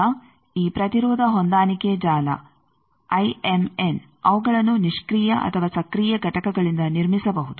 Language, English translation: Kannada, Now, this impedance matching network, IMN they can be constructed from either passive or active components